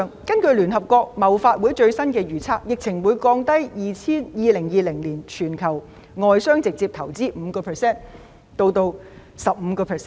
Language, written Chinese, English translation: Cantonese, 根據聯合國貿發會的最新預測，疫情會降低2020年全球外商直接投資 5% 至 15%。, According to the latest forecast of the United Nations Conference of Trade and Development the epidemic will reduce global foreign direct investment by 5 % to 15 % in 2020